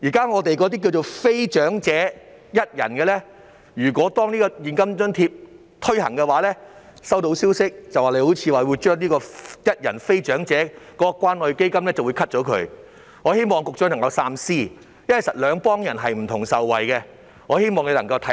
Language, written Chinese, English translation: Cantonese, 我收到消息，如果非長者一人申請者獲提供現金津貼，便會取消非長者一人申請者的關愛基金，我希望局長三思，因為受惠的其實是兩類人。, I have got wind of the fact that if non - elderly one - person applicants are provided with the cash allowance they will not be eligible to benefit from the Community Care Fund . I hope that the Secretary will think twice as there are actually two categories of people who will benefit